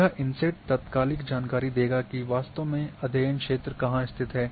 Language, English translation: Hindi, This inset will give the immediate information that where exactly the study area is located